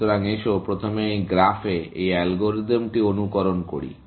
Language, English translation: Bengali, So, let us first simulate this algorithm on this graph